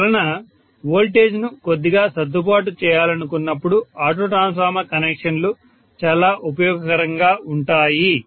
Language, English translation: Telugu, So auto transformer connections are extremely useful when I want to may be slightly adjust the voltage